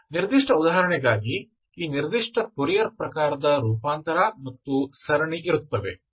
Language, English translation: Kannada, This, for this particular example, this particular fourier type of transform and series, okay